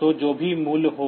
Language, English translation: Hindi, So, whatever be the value